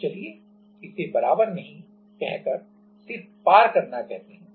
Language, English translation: Hindi, So, let us call it not equal to rather just crossing